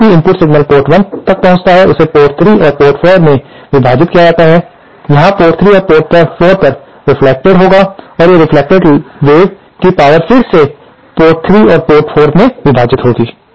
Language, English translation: Hindi, Now any input signal that reaches port 1 it will be divided at port 3 and port 4, here at port 3 and port 4, they will undergo reflection and these reflected waves will again be power divided at port 3 and port 4